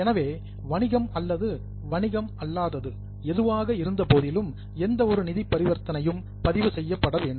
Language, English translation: Tamil, So, business or non business, but any transaction which has a financial implication needs to be recorded